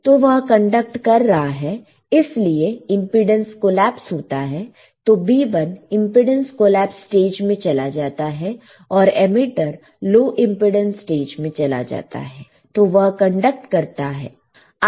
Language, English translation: Hindi, So, it is conducting that is why this is a it goes to the impedance collapses B1 will go to impedance collapses and the emitter goes into low impedance stage, right, it will conduct